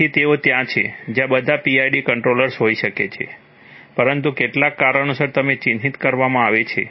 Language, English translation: Gujarati, So they are, there may be all PID controllers but they are marked as such because of certain reasons